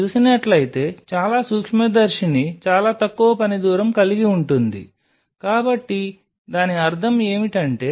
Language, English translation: Telugu, Because most of the microscope if you see will have a very short working distance what does that mean